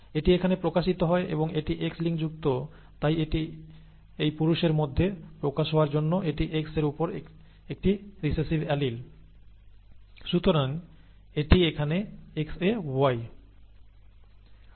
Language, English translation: Bengali, And this is manifested here and it is X linked therefore this has to have a recessive allele on the X for it to be manifest in this male here, okay